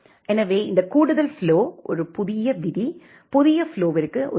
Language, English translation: Tamil, So, this add flow will add a new rule corresponds to a new flow